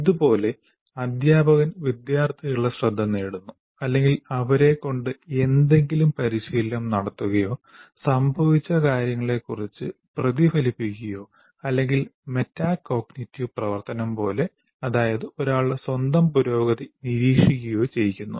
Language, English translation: Malayalam, But there could be internal mental events like the teacher will directly attention of the student or they make them rehearse something or reflect on what has happened or like metacognitive activity monitoring one's own progress